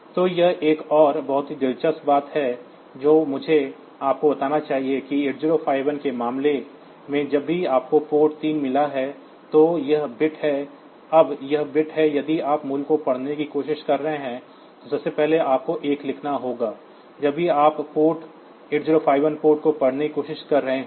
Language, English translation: Hindi, So, this is another very interesting thing that I should tell you that in case of 8051 whenever you have got a port P 3; so, this bits are there now this bits if you are trying to read the value, first of all you have to write a 1, whenever you are trying to read a 8051 port